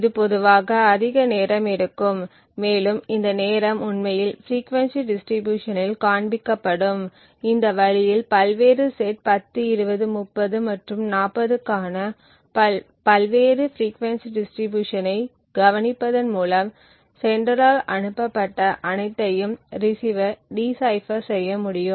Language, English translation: Tamil, So, this would typically take longer which we have timed and this timing would actually show up in the frequency distribution, so in this way observing the various frequency distribution for the various sets 10, 20, 30 and 40 the receiver would be able to decipher whatever has been transmitted by the sender